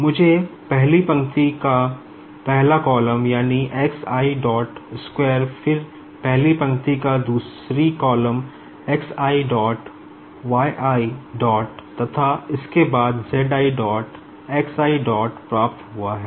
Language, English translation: Hindi, I will be getting your first row first column, that is, x i dot square, then first row second column x i dot y i dot then comes your z i dot x i dot